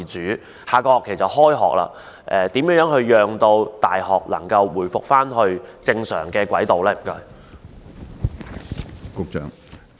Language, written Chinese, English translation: Cantonese, 鑒於下學期即將開學，當局如何讓大學能夠回復正常軌道呢？, As the next semester is set to begin how can the authorities bring universities back on the normal track?